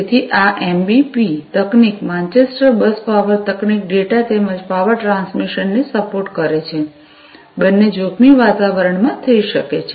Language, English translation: Gujarati, So, this MBP technology Manchester Bus Power technology supports data as well as power transmission, both can be done in hazardous environments